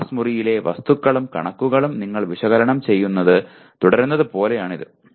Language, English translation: Malayalam, That you are just keep on analyzing facts and figures in the classroom